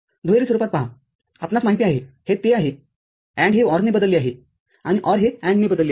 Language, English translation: Marathi, See in the dual form we know that it is these AND is replaced with OR, and OR is replaced with AND